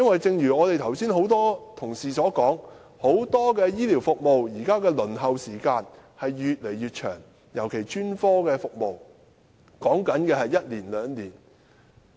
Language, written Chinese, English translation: Cantonese, 正如剛才多位同事所說，很多醫療服務現在的輪候時間也越來越長，尤其是專科服務，往往要輪候一兩年。, As many Honourable colleagues have said earlier the waiting time for various healthcare services particularly specialist services is becoming increasingly long which often takes a year or two